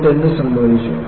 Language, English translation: Malayalam, And, what happened